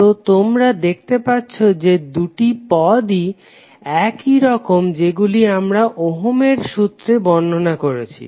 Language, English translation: Bengali, So you can see that both of the terms are similar to what we describe in case of Ohm's Law